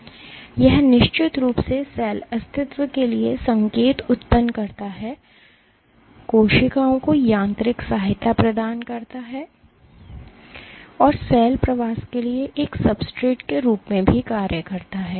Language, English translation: Hindi, It of course, generates signals for cell survival provides mechanical support to cells and also acts as a substrate for cell migration